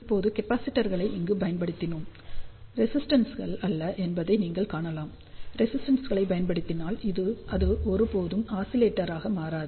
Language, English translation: Tamil, Now, you can see that we have used the capacitors over here and not resistors; if you use resistors, it will never ever become oscillator